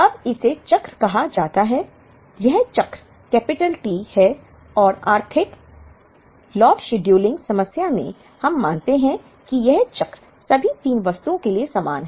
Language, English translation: Hindi, Now, this is called the cycle; this cycle is capital T and in the economic lot scheduling problem, we assume that the cycle is the same for all the 3 items